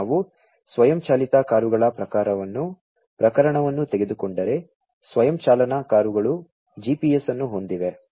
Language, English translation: Kannada, If, we take the case of the self driving cars, the self driving cars are equipped with GPS